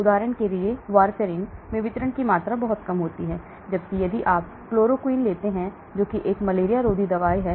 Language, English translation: Hindi, warfarin for example, has a very low volume of distribution, whereas if you take a chloroquine which is a anti material